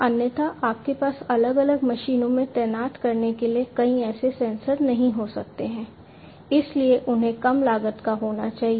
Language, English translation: Hindi, Otherwise you cannot have multiple such sensors to be deployed in different machines, so they have to be low cost